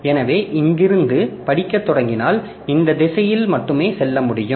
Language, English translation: Tamil, So, if you are starting reading from here so you can go only in this direction